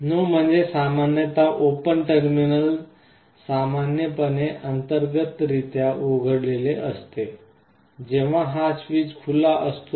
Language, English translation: Marathi, NO means normally open terminal and common are normally open internally, when this switch is open